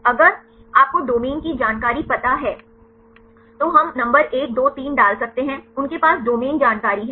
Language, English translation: Hindi, If you know the domain information then we can put the number 1 2 3 right they have domain information